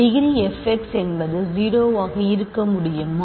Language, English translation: Tamil, So, f x cannot be degree 0